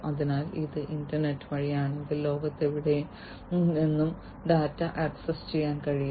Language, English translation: Malayalam, So, if it is through the internet, then, you know, the data can be accessed from anywhere in the world